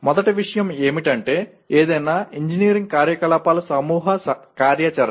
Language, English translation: Telugu, First thing is any engineering activity is a group activity